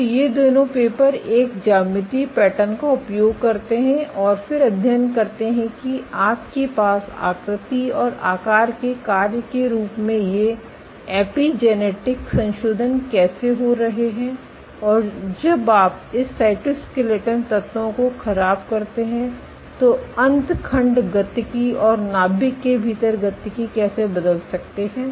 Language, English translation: Hindi, So, both these papers make use of a geometrical pattern and then study how you have these epigenetic modifications happening as a function of shape and size, and how telomere dynamics and within the nucleus how dynamics change when you perturb this cytoskeleton elements